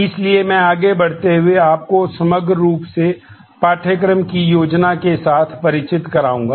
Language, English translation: Hindi, So, moving on I would quickly take you through familiarizing with you with the overall plan of the course